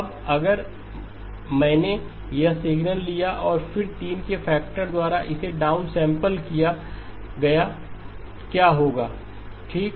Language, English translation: Hindi, Now if I took this signal and then down sampled it by a factor of 3 what happens okay